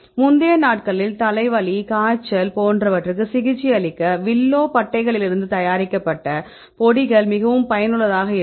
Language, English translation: Tamil, So, they get the powders made from willow bark for example, right useful for the treating headaches, pains, fevers and so on in the earlier days